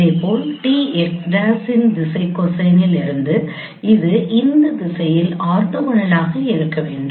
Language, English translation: Tamil, Similarly for the from the direction cosine of d x prime it should be orthogonal to this direction